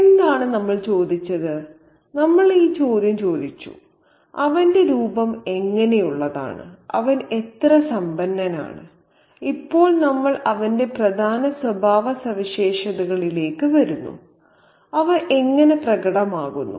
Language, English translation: Malayalam, Now what are, so we have asked him, you know, we have asked this question, what is his appearance like, you know, how wealthy he is, and now we come to his significant characteristics and how are they manifested